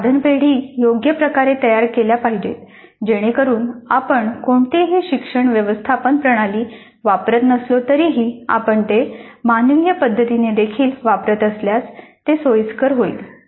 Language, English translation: Marathi, The item banks should be suitably designed so that even if you are not using any learning management system if you are using it manually also it is convenient